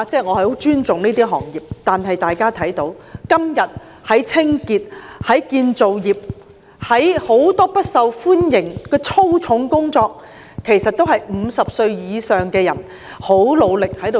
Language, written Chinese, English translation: Cantonese, 我很尊重這些行業，今天清潔工作、建造業工作、很多不受歡迎的粗重工作，其實也是由50歲以上的人很努力地做。, I have great respect for these trades . Today cleaning jobs construction jobs and many unfavourable back - breaking jobs are in fact industriously done by people over 50